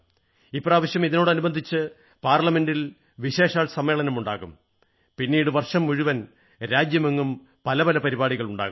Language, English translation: Malayalam, This occasion will be marked by a special programme in Parliament followed by many other events organised across the country throughout the year